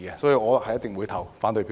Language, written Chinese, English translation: Cantonese, 所以，我一定會投反對票。, I will therefore definitely cast a negative vote